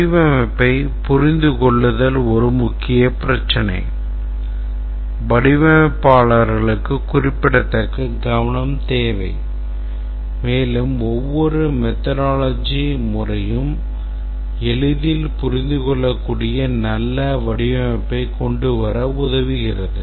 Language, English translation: Tamil, Understandability of the design is a major issue require significant attention by the developers, sorry, the designers and also every design methodology helps to come up with good design which is easily understandable